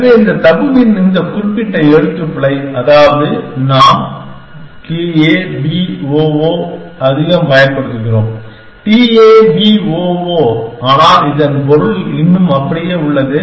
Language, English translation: Tamil, So, this particular spelling of tabu I mean, we are more use to taboo t a b o o, but it the meaning is still the same